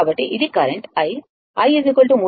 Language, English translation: Telugu, This is the current